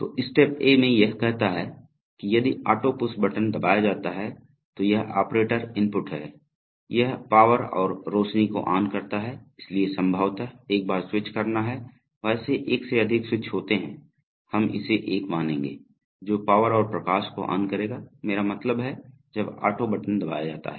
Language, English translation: Hindi, So in step A, it says that if the auto push button is pressed, so that is an operator input, it turns powers and lights on, so there is possibly a switch once, one or more switches, we will consider it to be one, which will turn the power and the light on, I mean the moment the auto button is pressed